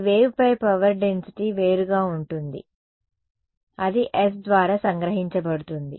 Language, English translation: Telugu, Power density on this wave will be different that is captured by S